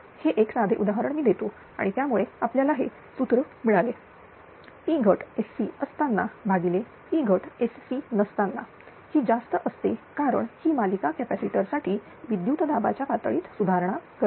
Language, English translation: Marathi, This simple example I am giving and that is why we have got this formula Ploss without SC by Ploss your with SC by without SC is this much right because it improve the voltage level this is for series capacitor